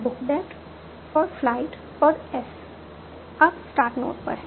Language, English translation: Hindi, book that in flight, and I should start at the start node